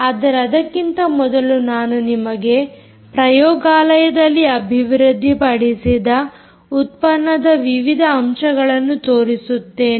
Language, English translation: Kannada, but before that let me point you to different elements, which is part of the product that was developed in the lab